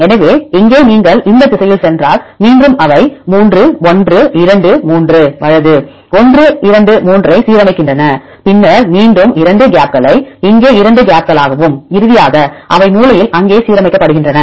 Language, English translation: Tamil, So, here if you go on this direction and then again they align the 3 residues 1, 2, 3 right 1, 2, 3 and then again 2 gaps here 2 gaps and finally, they are end aligned there in the corner